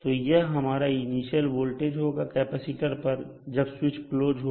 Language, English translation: Hindi, So this is our initial voltage across the capacitor when the switch is closed